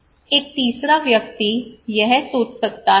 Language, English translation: Hindi, A third person, he may think